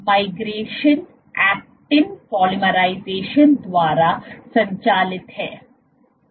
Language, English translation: Hindi, So, migration is driven by actin polymerization